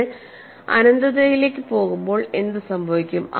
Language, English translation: Malayalam, When you go to infinity what happens